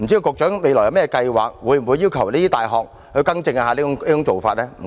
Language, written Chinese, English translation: Cantonese, 局長未來會否計劃要求這些大學更正這種做法？, Will the Secretary consider asking these universities to correct their management approach in the future?